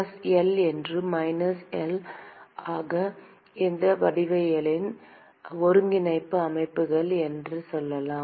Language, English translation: Tamil, And let us say that plus L and minus L are the coordinate systems for this geometry